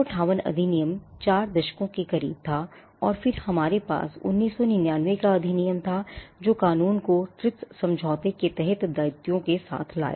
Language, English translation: Hindi, The 1958 act existed for close to 4 decades, and then we had the 1999 act which brought the law in comprehends with the obligations under the TRIPS agreement